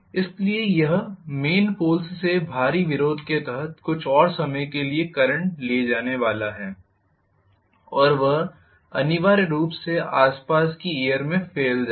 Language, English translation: Hindi, So, it is going to carry the current for some more time under heavy opposition from the main poles and that will essentially spill over into the surrounding air